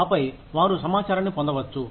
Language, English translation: Telugu, And then, they can get out the information